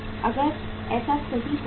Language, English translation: Hindi, If that happens perfect